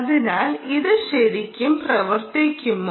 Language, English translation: Malayalam, so, all nice, does it really work